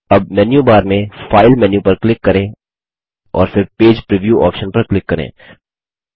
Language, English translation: Hindi, Now click on the File menu in the menu bar and then click on the Page preview option